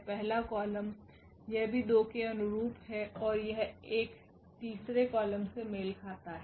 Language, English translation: Hindi, The first column this is also corresponding to 2 and this corresponds to 1 the third column